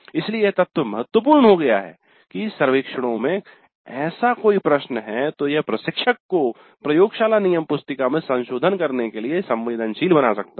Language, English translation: Hindi, So the very fact that such a question is there in the survey might sensitize the instructor to revising the laboratory manual